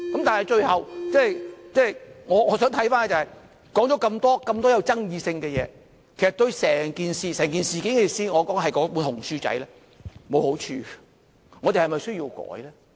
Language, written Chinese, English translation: Cantonese, 但是，最後，我想看看，說了這麼多具爭議性的事，其實對整件事——我說的是"紅書仔"——沒有好處，我們是否需要修改呢？, Lastly what I try to see is that after speaking on so many controversial issues actually they will do no good to the entire matter I mean they will do no good to the little red book . Do we really need to amend it?